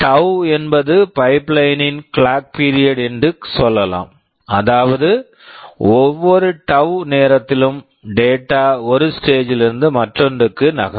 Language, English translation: Tamil, Let us say tau is the clock period of the pipeline, which means, every tau time data moves from one stage to the other